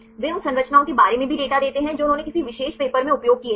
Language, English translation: Hindi, They also give the data about the structures they used in a particular paper right